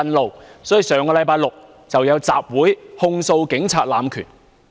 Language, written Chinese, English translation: Cantonese, 故此，他們於上星期舉行集會，控訴警察濫權。, That is why they held a rally last week to accuse the Police of abuse of power